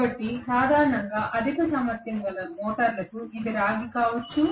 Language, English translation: Telugu, So generally for high capacity motors it may be copper, right